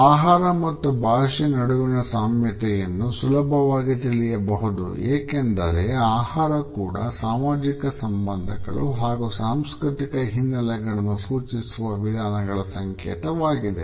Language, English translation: Kannada, The commonality between food and language can be understood easily because food is also a code which expresses patterns about social relationships and cultural backgrounds